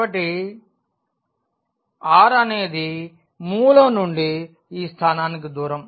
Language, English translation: Telugu, So, r is precisely the distance from the origin to this point